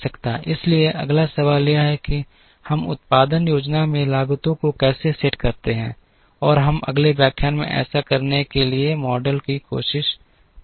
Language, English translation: Hindi, So, the next question is how do we model set up costs into production planning, and we will try and look at models to do that in the next lecture